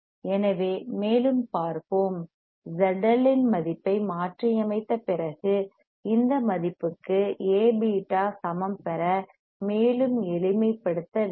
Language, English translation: Tamil, So let us see further; so, after substituting value of Z L, we have to further simplify for further simplification we willto get A beta equals to this value